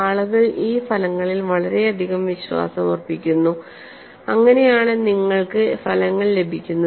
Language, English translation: Malayalam, People put lot of faith on his results that is how you have the results